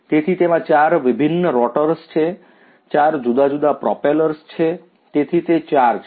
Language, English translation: Gujarati, So, which has four different rotors, four different propellers right so, there are four ones